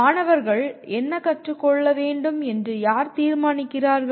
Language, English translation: Tamil, Who decides what is it that the students should learn